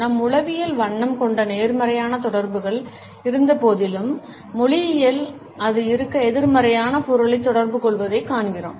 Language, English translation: Tamil, Despite the positive associations which color has in our psychology, we find that in language it communicates a negative meaning to be in